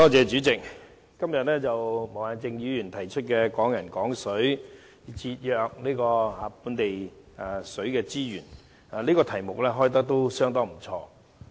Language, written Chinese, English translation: Cantonese, 主席，毛孟靜議員今天提出的"推動'港人港水'，守護本地資源"這議題相當不錯。, President the motion Promoting Hong Kong people using Hong Kong water and protecting local resources moved by Ms Claudia MO today is a good topic for discussion